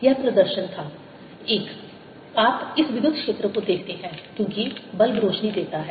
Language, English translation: Hindi, you observe this electric field because the bulb lights up